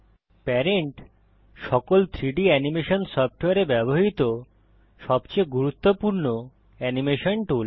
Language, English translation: Bengali, Parentis the most important animation tool used in all 3D animation softwares